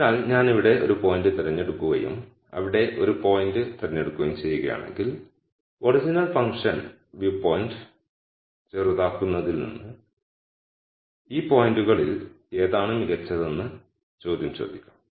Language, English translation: Malayalam, So, if I pick a point here and let us say I pick a point here and ask the question which one of these points is better from a minimization of the original function view point